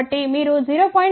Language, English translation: Telugu, In fact, 0